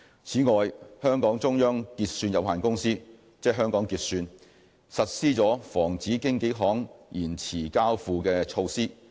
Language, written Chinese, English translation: Cantonese, 此外，香港中央結算有限公司實施了防止經紀行延遲交付的措施。, In addition Hong Kong Securities Clearing Company Limited HKSCC has implemented measures to safeguard brokers from late delivery